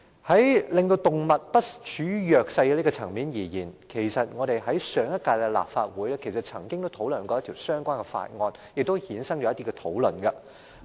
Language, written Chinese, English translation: Cantonese, 在令動物不處於弱勢的層面而言，上屆立法會曾討論一項相關法案，並衍生了一些討論。, With a view to preventing animals from being put in a disadvantageous position the last Legislative Council discussed a relevant bill which gave rise to some debates